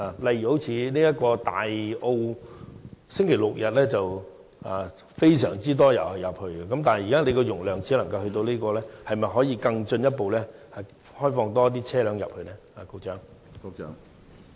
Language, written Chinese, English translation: Cantonese, 例如，不少車輛在星期六、日會前往大澳，基於現時的交通流量數字，當局可否進一步開放讓更多車輛進入大澳呢？, For instance since quite many vehicles will go to Tai O on Saturday or Sunday can the authorities in view of the current traffic flow data further open up Tai O for more vehicles?